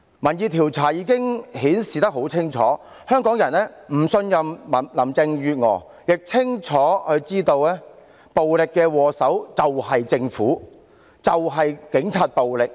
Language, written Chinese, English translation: Cantonese, 民意調查已經很清楚地顯示，香港人不信任林鄭月娥，亦清楚知道暴力的禍首就是政府和警察。, Public opinion polls clearly indicated that Hongkongers do not trust Carrie LAM and know clearly that the Government and the Police are the culprits of violence